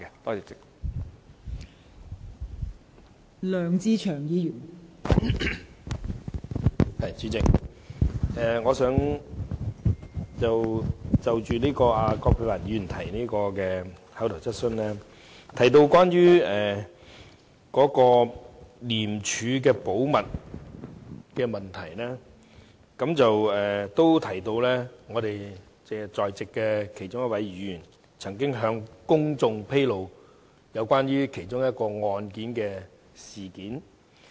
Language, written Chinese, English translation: Cantonese, 代理主席，葛珮帆議員的口頭質詢提及廉署的保密問題，並提到我們在席的其中一位議員曾經向公眾披露涉及一宗案件的事件。, Deputy President Dr Elizabeth QUATs oral question talks about the confidentiality of ICAC information and it also refers to the public disclosure of a case by one Member present here